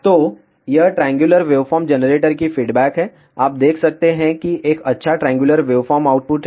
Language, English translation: Hindi, So, this is the response of the triangular waveform generator, you can see that there is a nice triangular waveform output